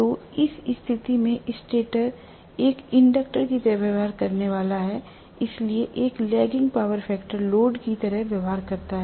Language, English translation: Hindi, So, in which case, the stator is going to behave like an inductor so behaves like a lagging power factor load